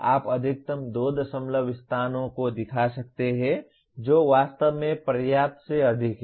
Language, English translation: Hindi, You can show up to maximum 2 decimal places that is more than enough really